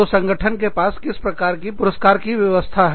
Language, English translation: Hindi, So, what kind of reward systems, does the organization have